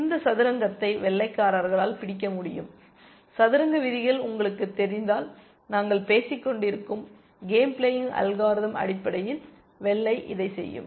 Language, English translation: Tamil, White can capture this rook like this, if you know the chess rules, and white, the game playing algorithm that we have been talking about will basically do this